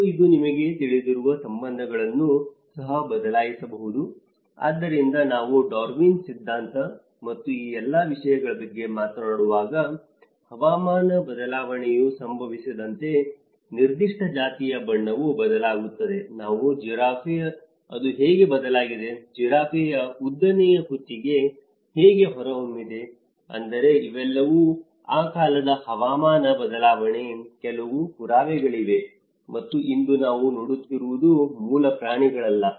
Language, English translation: Kannada, And it also can alter the relationships you know, so when we talk about the Darwin's theory and all these things, as the climate change happens even the colour of a particular species also changes, the nature like we talk about giraffe and how it has changed, today the long neck giraffe how it has emerged so, which means these are all some of the evidences of that times climate change and today what we are seeing as a species is not the original one